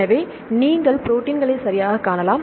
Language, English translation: Tamil, So, when you look into the protein structures